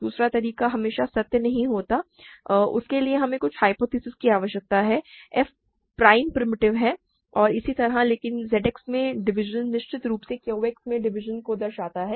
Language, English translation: Hindi, The other way is not always true and for that we need some hypothesis that f is prime primitive and so on, but division in ZX certainly implies division in Q X